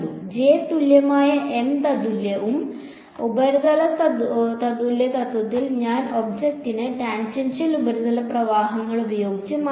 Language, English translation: Malayalam, J equivalent M equivalent and in the surface equivalent principle I replaced the object by tangential surface currents ok